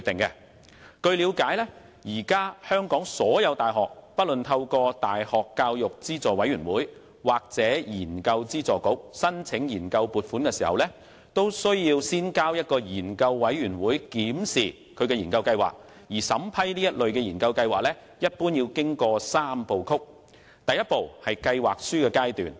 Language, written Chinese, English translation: Cantonese, 據了解，香港各大學現時透過大學教育資助委員會或研究資助局申請研究撥款時，須先將研究計劃交由一個研究委員會檢視，而審批該類研究計劃一般須經過三步曲：第一步為計劃書階段。, To my understanding when making applications for research funding through the University Grants Committee or the Research Grants Council RGC various universities in Hong Kong have to submit their research proposals to a research committee for examination and the vetting and approval of such research proposals usually have to go through a three - step process The first step is the stage of submitting a proposal